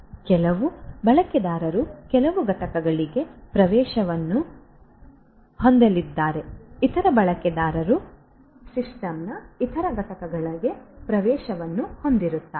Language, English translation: Kannada, Certain users are going to have access to certain components other users are going to have access to the other components of the system and so on